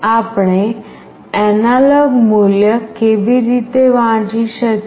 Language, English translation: Gujarati, How do we read the analog value